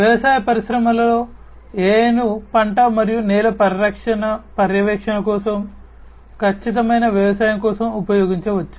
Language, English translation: Telugu, In the agriculture industry AI could be used for crop and soil monitoring, for precision agriculture